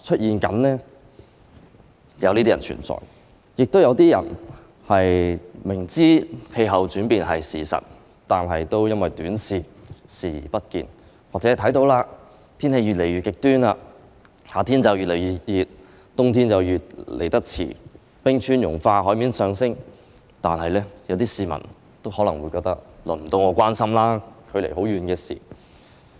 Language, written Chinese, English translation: Cantonese, 另外，亦有些人明知氣候變化是事實，但因為短視，視而不見，又或有些市民看到天氣越來越極端，夏天越來越熱，冬天來得越來越遲，冰川融化、海面上升，但仍可能覺得用不着他們擔心，那是距離自己很遠的事。, On the other hand there are some people who know full well that climate change is a hard fact but turn a blind eye to it because of short - termism . Some people perhaps have noticed that the weather becomes increasingly extreme with summers getting hotter winters coming later glaciers melting and the sea level rising but still they may think that climate change is far too remote for them to worry about